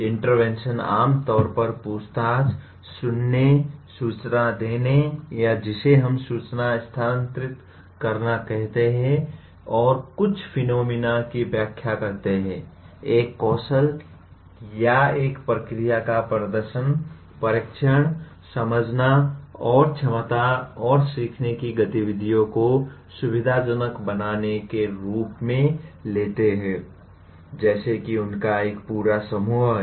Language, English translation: Hindi, The interventions commonly take the form of questioning, listening, giving information or what we call transferring information and explaining some phenomenon, demonstrating a skill or a process, testing, understanding and capacity and facilitating learning activities such as, there is a whole bunch of them